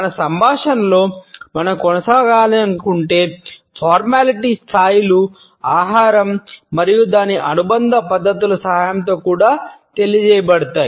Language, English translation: Telugu, The levels of formality which we want to maintain in our dialogue can also be communicated with the help of food and its associated practices